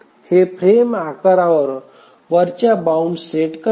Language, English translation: Marathi, So, this sets an upper bound on the frame size